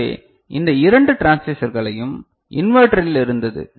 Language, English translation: Tamil, So, we had this two transistors there inverter